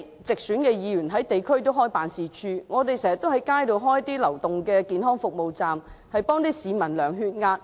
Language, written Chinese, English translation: Cantonese, 直選議員開設了地區辦事處，我們經常設置流動健康服務街站，為市民量血壓。, Directly - elected Members have their community offices and we often set up mobile health service booths on the streets to conduct blood pressure tests for people